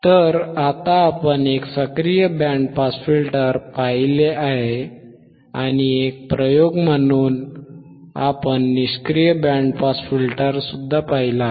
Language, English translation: Marathi, So now what we have seen, we have seen an active band pass filter and we have seen a passive band pass filter as an experiment